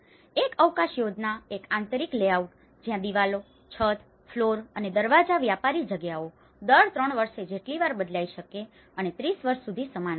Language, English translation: Gujarati, A space plan, an interior layout, where walls, ceilings, floors and doors go commercial spaces can change as often as every 3 years and remain the same for 30 years